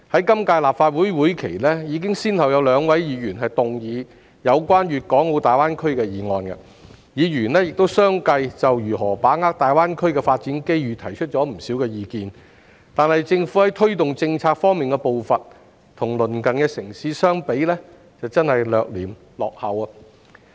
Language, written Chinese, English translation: Cantonese, 今屆立法會會期已先後有兩位議員動議有關大灣區的議案，議員亦相繼就如何把握大灣區的發展機遇提出了不少意見，但政府在推動政策方面的步伐，與鄰近城市相比，真的是略嫌落後。, Two Members have moved motions on GBA in the current Legislative Council session and Members have put forward many views on how to grasp the development opportunities of GBA one after another . However the pace of the Government in taking forward its policies is really lagging behind our neighbouring cities